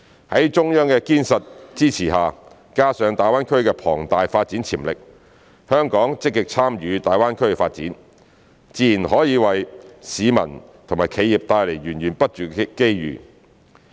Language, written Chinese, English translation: Cantonese, 在中央的堅實支持下，加上大灣區的龐大發展潛力，香港積極參與大灣區發展，自然可為市民和企業帶來源源不絕的機遇。, With the solid support of the Central Government and the huge development potential of GBA Hong Kongs active participation in the development of GBA will certainly bring endless opportunities to members of the public and enterprises